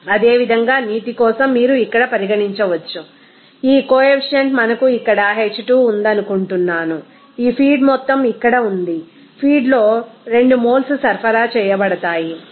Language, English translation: Telugu, Similarly for water again you can consider here this coefficient is I think we are H2 here, this feed amount is here 2 moles is supplied in the feed, then nH2O = 2